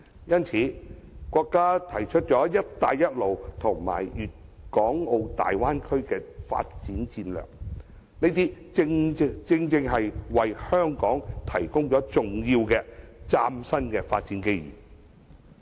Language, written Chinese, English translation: Cantonese, 因此，國家提出"一帶一路"和粵港澳大灣區的發展戰略，正好為香港提供了重要的嶄新發展機遇。, Hence the Belt and Road Initiative and the Guangdong - Hong Kong - Macao Bay Area development strategies of our country have provided important and new development opportunities for Hong Kong